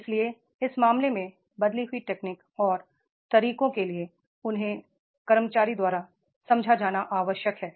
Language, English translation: Hindi, So therefore in, in that case, the change technology and methods they are required to be understood by the employee